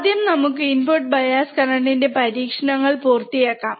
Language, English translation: Malayalam, But let us first now complete the experiment for input bias current